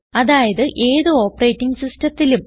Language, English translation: Malayalam, That is, on any Operating System